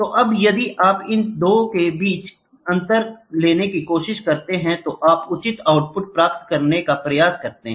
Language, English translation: Hindi, So now, if you try to take the variation or the difference between these 2 in the counting then you try to get proper output